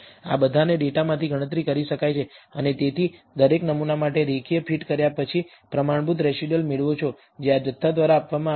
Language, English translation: Gujarati, All of this can be computed from the data, and therefore, you get for each sample a standardized residual after performing the linear fit which is given by this quantity